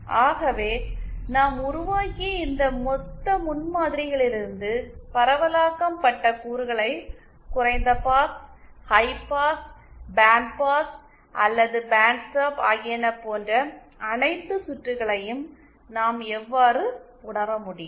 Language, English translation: Tamil, So how can we realise distributed elements from this lumped prototype that we have developed all the circuits that we saw low pass, high pass, band pass or band stop